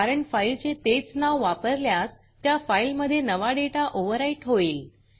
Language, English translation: Marathi, Because, use of same file name will overwrite the existing file